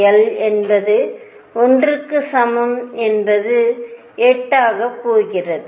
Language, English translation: Tamil, l equals 1 again is going to be 8